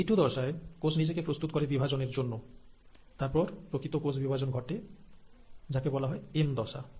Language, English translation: Bengali, And in this G2 phase, the cells prepare itself to divide, and then the actual process of cell division, which is called as the M phase